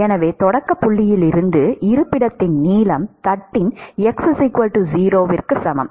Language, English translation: Tamil, So, the length of the location from the starting point, that is x equal to 0 of the plate